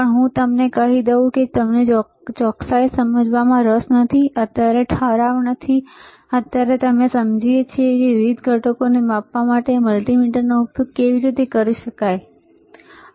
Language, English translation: Gujarati, But let me tell you that we are not interested in understanding the accuracy, right now not resolution, right now we understanding that how we can use the multimeter for measuring different components, all right